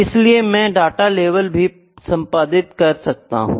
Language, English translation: Hindi, So, I can even edit the data labels